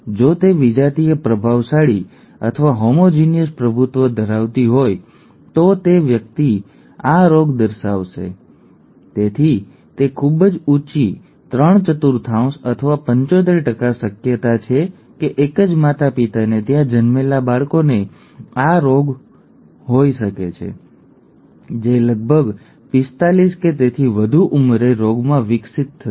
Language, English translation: Gujarati, Either if one of either if it is heterozygous dominant or homozygous dominant the person will show the disease, so it is a very high three fourth or a 75% probability that the that the child, born to the same parents will have HuntingtonÕs disease, HuntingtonÕs gene which will develop into a disease at around 45 or so